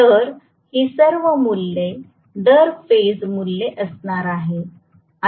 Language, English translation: Marathi, So, all these values have to be per phase values